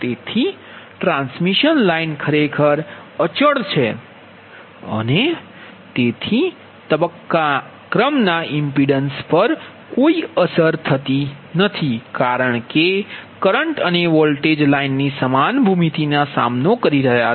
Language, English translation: Gujarati, so transmission line actually is a static device and hence the phase sequence has no effect on the impedance because currents and voltage encounter the same geometry of the line